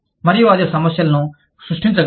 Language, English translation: Telugu, And, that can create problems